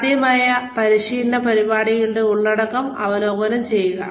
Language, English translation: Malayalam, Review possible training program content